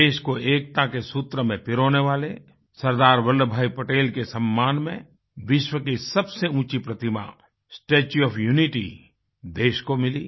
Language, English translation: Hindi, In honour of SardarVallabhbhai Patel who bonded the entire country around a common thread of unity, India witnessed the coming up of the tallest statue in the world, 'Statue of Unity'